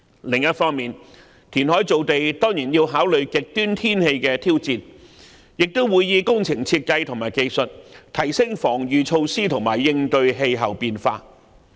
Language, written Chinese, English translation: Cantonese, 另一方面，填海造地當然要考慮極端天氣的挑戰，亦會以工程設計和技術提升防禦措施和應對氣候變化。, Besides the authorities will certainly factor in the challenges presented by extreme weather to reclamation while also enhancing the defensive measures for coping with weather changes through works design and technologies